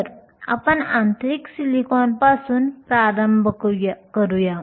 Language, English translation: Marathi, So, let us start with intrinsic silicon